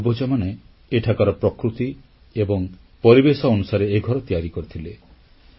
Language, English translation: Odia, These houses were built by our ancestors in sync with nature and surroundings of this place"